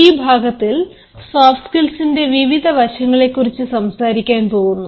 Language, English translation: Malayalam, now, here in this lecture, we are going to talk about the various aspects of soft skills